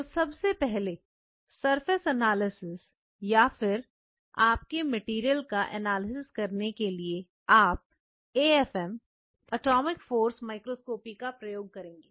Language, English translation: Hindi, So, first of all we talked about surface analysis with an AFM here also that will apply, we will be using atomic force microscopy to analyze the surface